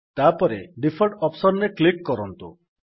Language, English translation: Odia, Next, click on the Default option